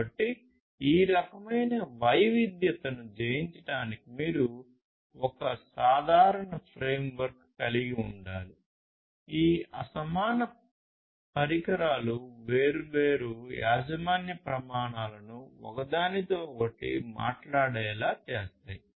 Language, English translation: Telugu, So, you need to you need to in order to conquer this kind of heterogeneity; you need to have a common framework which will, which will make these disparate devices following different proprietary standards talk to each other